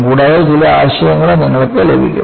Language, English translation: Malayalam, And, certain ideas you will also get